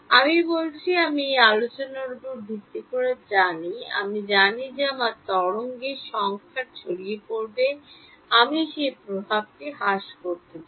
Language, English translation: Bengali, I am saying, I know based on this discussion I know that my wave will have numerical dispersion I want to mitigate that effect